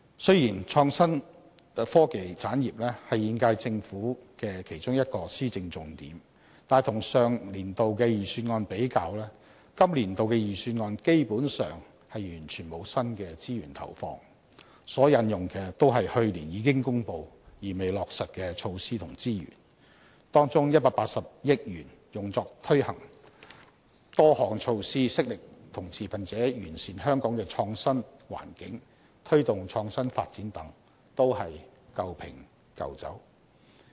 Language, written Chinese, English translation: Cantonese, 雖然創新科技產業是現屆政府的其中一項施政重點，但與上年度的預算案比較，今年度的預算案基本上完全沒有新的資源投放，所引用的均是去年已經公布而未落實的措施和資源，當中180億元用作推行多項措施，悉力與持份者完善香港的創新環境，推動創新發展等，都是舊瓶舊酒。, IT has been established as one of the Governments key agenda items but if we compare the Budget this year with that of last year we may find that no new allocation of resources can be found in the Budget this year . All measures and resources are just initiatives announced in the Budget last year that have not been implemented yet . As for the various measures amounting to a total of 18 billion which have been launched to promote IT development with all stakeholders and so on they are nothing but old wine in a new bottle